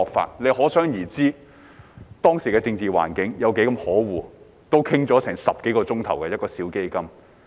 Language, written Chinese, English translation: Cantonese, 大家可想而知，當時的政治環境有多麼可惡，一個小基金也要討論10多個小時。, One can imagine how terrible the political environment has been . It took us 10 - odd hours to discuss funding allocation for such small funds